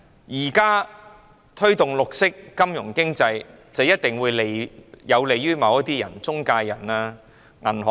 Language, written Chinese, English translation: Cantonese, 現時推動綠色金融經濟，一定會有利於某些中介人和銀行。, The present promotion of green finance and economy will definitely benefit certain intermediaries and banks